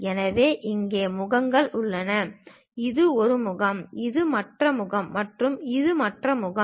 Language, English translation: Tamil, So, here the faces are; this is one face, this is the other face and this is the other face